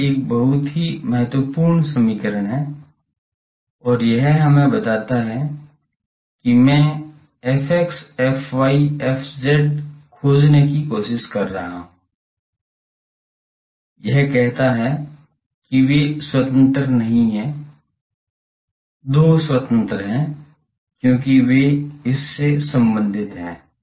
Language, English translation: Hindi, This is a very important equation and this tells us that, I am trying to find f x f y f z, it says that they are not independent, 2 are independent, because they are related by this